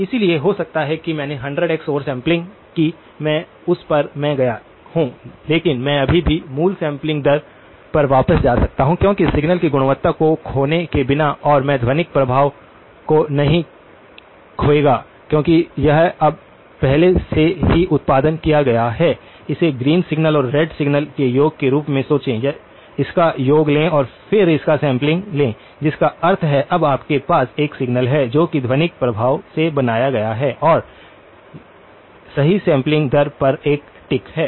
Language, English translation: Hindi, So, I may have gone 100x over sampling I might have done but I can still go back to the original sampling rate because without losing the quality of signal and I would not lose the effect of the acoustic effect because this has already been produced now, think of this as the sum of the green signal and the red signal, take the sum of it and then sample it which means, now you have a signal which has the acoustic effect built in and is a tick at the right sampling rate